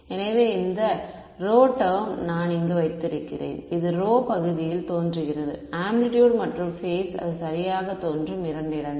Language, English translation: Tamil, So, I have this rho term over here this is rho is appearing in the denominator in the amplitude and in the phase the 2 places where it is appearing right